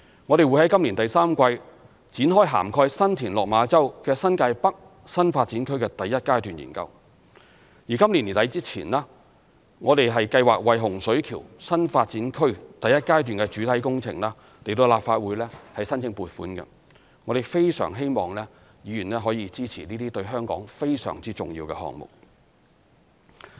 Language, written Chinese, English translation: Cantonese, 我們亦會在今年第三季展開涵蓋新田/落馬洲的新界北新發展區第一階段研究，而今年年底前，我們計劃為洪水橋新發展區第一階段的主體工程向立法會申請撥款，我們非常希望議員能夠支持這些對香港非常重要的項目。, Moreover we will also kick - start a study on the first phase of the New Territories North NDA development covering San TinLok Ma Chau in the third quarter of this year and we plan to seek funding approval from the Legislative Council for the main works of the first phase of the Hung Shui Kiu NDA by the end of this year . We earnestly hope Members can support these projects which are most significant to Hong Kong